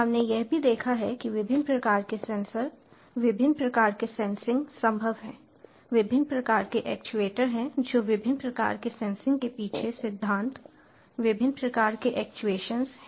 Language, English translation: Hindi, we have also seen that there are different types of sensors, different types of sensing, possible different types of actuators, that principles behind different types of sensing, different types of actuation